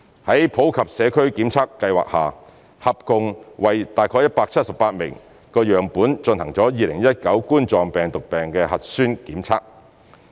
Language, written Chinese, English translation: Cantonese, 在普及社區檢測計劃下，合共為約178萬個樣本進行2019冠狀病毒病核酸檢測。, Under the Universal Community Testing Programme a total of about 1.78 million COVID - 19 nucleic acid samples were tested